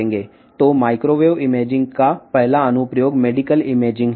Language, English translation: Telugu, So, the first application of the microwave imaging is the medical imaging